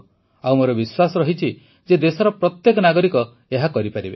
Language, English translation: Odia, And I do believe that every citizen of the country can do this